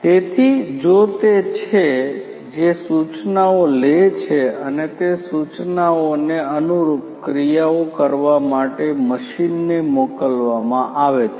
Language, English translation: Gujarati, So, if it is which takes those instructions and those instructions are passed to the machine for taking the corresponding actions